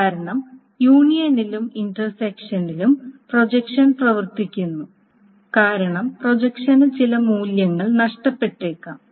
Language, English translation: Malayalam, Again, the reason is the projection works on the union and the intersection because the projection may lose some of the values